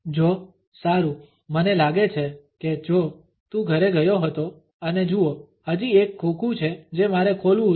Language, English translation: Gujarati, Joe well I guess Joe you went home and look there is still one box that I have to unpack